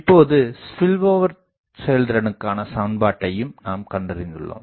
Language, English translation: Tamil, Now, we have also found out the expression for spillover efficiency